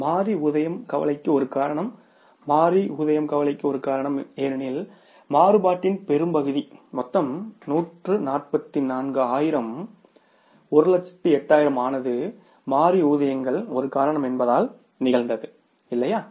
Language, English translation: Tamil, Variable payroll is the cause of concern because the larger part of the variances that is of the total 144,000s, 108,000 have occurred because of the one reason that is the variable payrolls